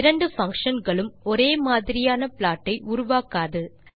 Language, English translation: Tamil, Both functions do not produce the same kind of plot